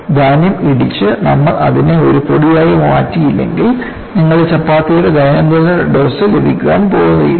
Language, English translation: Malayalam, If the grain is not ground and you make it as a powder,you are not going to get your daily dose of your chapattis